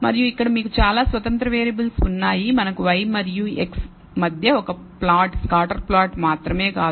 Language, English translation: Telugu, And here you because there are several independent variables we have not just one plot scatter plot between y and x 1